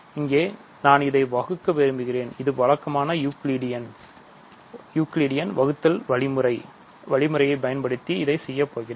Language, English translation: Tamil, So, here I want to divide this, this is the usual Euclidean division algorithm